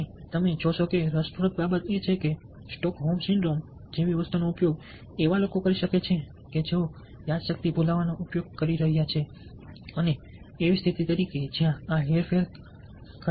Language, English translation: Gujarati, and you see, that interesting thing is that something like the stockholm syndrome can be used by people who are using brain washing as a condition where, ok, this manipulation can actually takes place